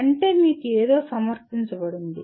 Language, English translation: Telugu, That means something is presented to you